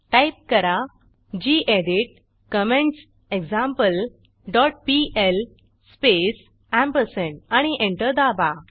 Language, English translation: Marathi, And Type gedit commentsExample dot pl space and press Enter